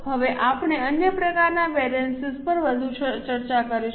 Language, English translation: Gujarati, Now we will discuss further on other types of variances